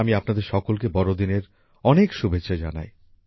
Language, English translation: Bengali, I wish you all a Merry Christmas